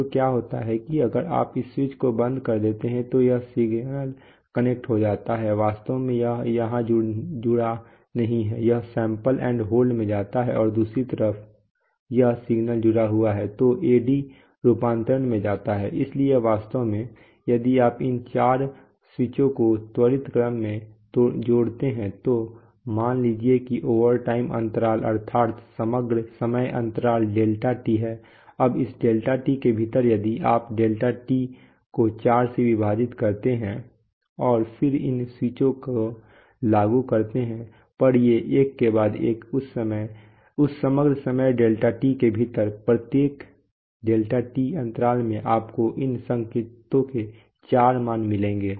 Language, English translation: Hindi, So what happens is that if you close this switch then this signal gets connected, actually this is a not connected here this connected and goes to the sample and hold and goes to the AD conversion on the other hand if this signal is connected, this will go, so actually so, if you connect these four switches in quick succession then overtime interval let us say the overall time interval is delta T now within this delta T if you divide delta T by 4 and then apply these switches on, at these one after the other within that overall time delta T then every delta T interval you will get four values of these signals